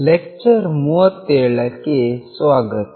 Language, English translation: Kannada, Welcome to lecture 37